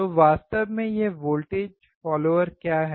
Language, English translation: Hindi, So, what exactly is this voltage follower